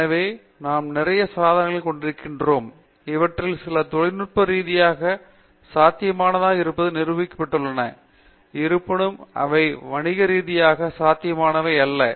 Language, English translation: Tamil, So, we have a whole lot of devices, some of them have been demonstrated to be technically feasible although still not commercially viable